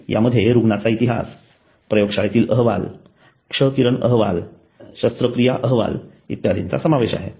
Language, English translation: Marathi, It includes patient history, lab reports, x ray report, operative reports etc